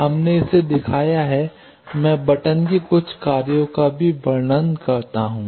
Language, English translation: Hindi, We have shown this, I also describe some of the network this functions of the buttons